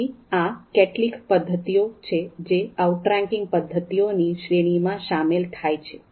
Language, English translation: Gujarati, So these are some of the methods that come under outranking methods category